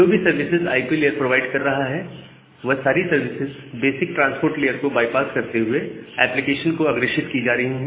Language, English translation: Hindi, So, whatever services is being provided by the IP layer, the same set of service is just forwarded to the application by bypassing the basic transport layer functionality